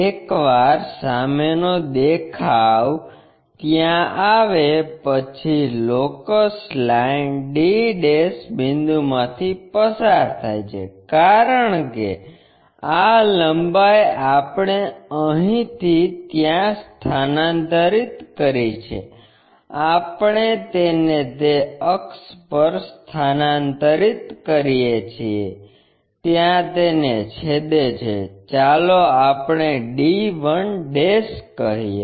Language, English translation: Gujarati, Once front view is there, the locus line passes by a d' and this point, because this length what we have transferred from here to there; we transfer it on that axis it cuts there, let us call d 1'